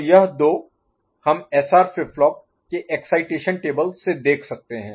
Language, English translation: Hindi, So, this two we can see we can visualise from SR flip flop excitation table ok